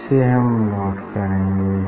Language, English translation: Hindi, just we will note down this